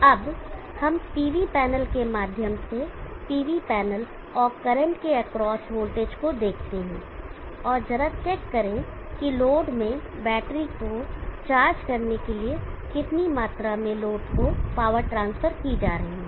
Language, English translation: Hindi, Now let us see the voltage across the PV panel and current through the PV panel and just check how much amount of power is been transferred to the load to charge the battery in the load so if we check the power drawn from the PV panel see that